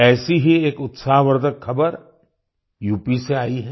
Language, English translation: Hindi, One such encouraging news has come in from U